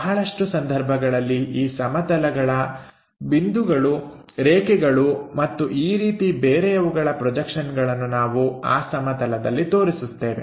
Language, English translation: Kannada, In most of the cases this plane projections points line and other things either we show it on the plane